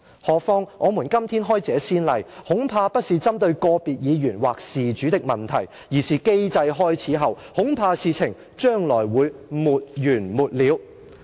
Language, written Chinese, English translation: Cantonese, 何況......我們今天開這先例，恐怕不是針對個別議員或事主的問題，而是機制開始後，恐怕事情將來會沒完沒了。, Furthermore I am afraid the precedent set today is not a question of pinpointing individual Members or the persons concerned but things will simply see no end after the mechanism is activated